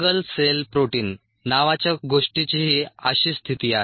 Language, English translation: Marathi, similar is the case with something called single cell protein